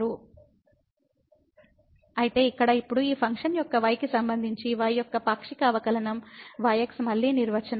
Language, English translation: Telugu, So, here now the partial derivative of y with respect to the of this function again the definition